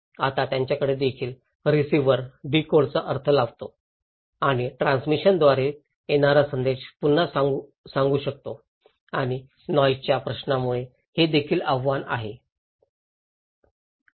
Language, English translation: Marathi, Now, he also has, the receiver also interpret decode and recode this message coming from the transmitter and it is also challenged by the question of noise